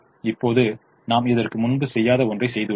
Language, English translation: Tamil, now we have done something which we have never done before